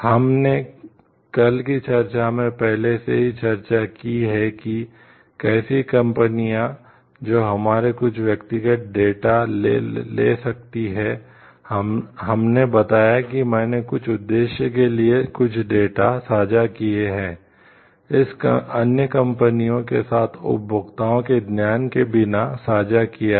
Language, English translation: Hindi, We have already discussed in yesterdays discussion like how companies, who may be taking some of our personal data, with whom we have shared some data for some purposes, sharing it with other companies with the without the knowledge of the consumers